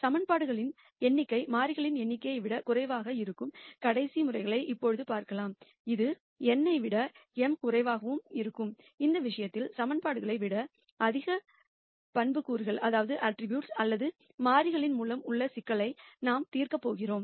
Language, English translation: Tamil, Now let us address the last case where the number of equa tions are less than the number of variables, which would be m less than n in this case we address the problem of more attributes or variables than equations